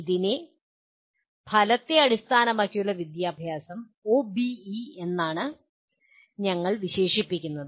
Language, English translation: Malayalam, And this is what we broadly call it as outcome based education